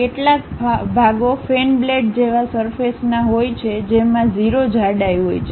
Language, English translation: Gujarati, Some of the parts are surface like fan blades these are having 0 thickness